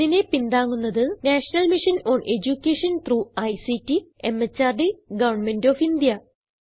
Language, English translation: Malayalam, Supported by the National Mission on Education through ICT, MHRD, Government of India